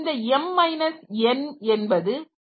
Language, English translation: Tamil, So, this is n equal to 2